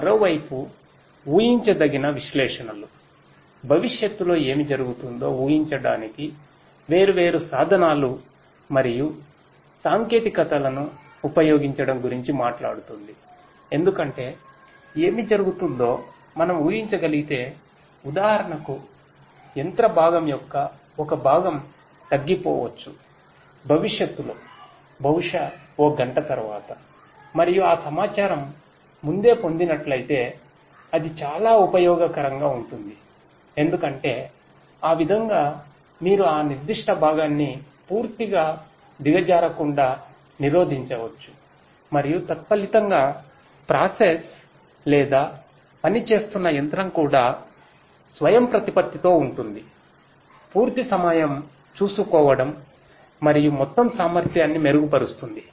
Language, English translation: Telugu, The predictive analytics on the other hand talks about use of different tools and techniques in order to predict in the future what is likely to happen because if we can predict what is likely to happen, for example, a part of a machine component might go down in the future, maybe after 1 hour and if that information is obtained beforehand then that will be very much useful because that way you could prevent that particular component from completely going down and consequently the process or the machine that is being operated will also be autonomously taking care of you know the complete down time and will improve upon the overall efficiency